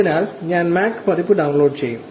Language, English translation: Malayalam, So, I will be downloading the Mac version